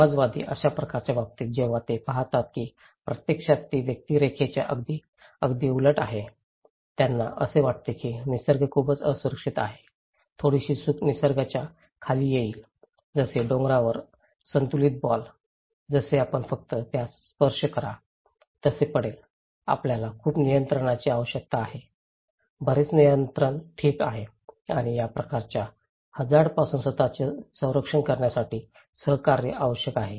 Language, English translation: Marathi, In case of egalitarian which is kind of they see that actually the it’s very opposite of the individualistic any, they think that that nature is very vulnerable, any little mistake nature will come crashing down okay, like a ball balanced on a hill, if we just touch it, it will fall so, we need lot of control, lot of control okay and cooperation is necessary to protect yourself from that kind of threat okay